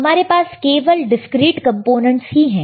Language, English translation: Hindi, And what we have is, we have all the discrete components